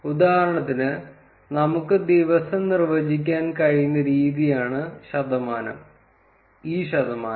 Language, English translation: Malayalam, So, for instance, the way we can define day is percentage e percentage b